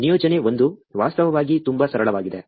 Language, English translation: Kannada, The assignment 1 is actually pretty simple